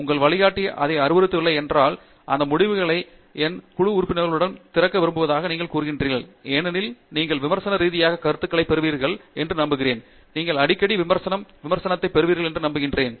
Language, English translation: Tamil, Even if your advisor does not insist on it, you say that I would like to discuss this results in the open with my group mates because and hope that you will get a critical feedback and very often you will get a critical feedback